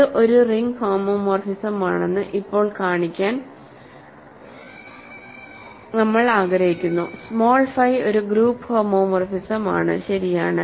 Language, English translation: Malayalam, So, we want to now show that it is a ring homomorphism, small phi a is a group homomorphism right